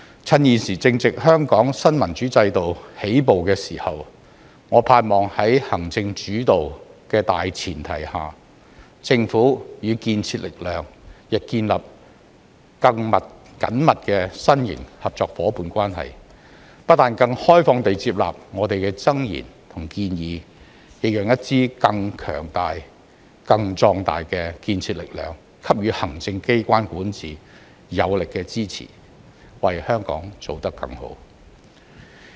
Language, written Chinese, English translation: Cantonese, 趁現時正值香港新民主制度起步的時候，我盼望在行政主導的大前提下，政府與建設力量亦建立更緊密的新型合作夥伴關係，不但更開放地接納我們的諍言和建議，亦讓一支更強大、更壯大的建設力量給予行政機關管治有力的支持，為香港做得更好。, As we are embarking on the beginning of a new democratic system for Hong Kong it is my hope that under the premise of an executive - led system the Government will also tighten the new - type cooperative partnership with the constructive force to not just accept our admonitions and suggestions with a more open mind but also allow a constructive force with more power and strength to provide strong support to the executive in its governance and achieve better for Hong Kong